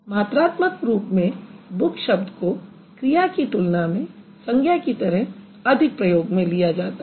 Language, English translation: Hindi, Quantitatively the book is used as a noun more often than book as a verb